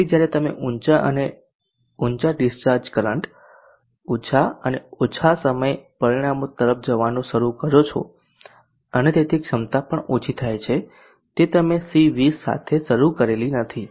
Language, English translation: Gujarati, So as you start going higher id discharge current, lesser and lesser time results and therefore the capacity also reduces it is not same as what you started of with the C20